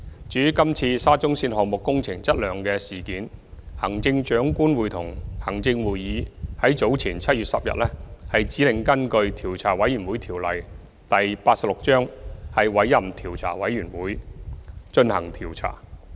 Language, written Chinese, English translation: Cantonese, 至於今次沙中線項目工程質量的事件，行政長官會同行政會議在早前於7月10日指令根據《調查委員會條例》委任調查委員會進行調查。, As regards the current incident involving the quality of works in the SCL project the Chief Executive in Council directed earlier on 10 July that a Commission of Inquiry COI be appointed under the Commissions of Inquiry Ordinance Cap . 86 to conduct an investigation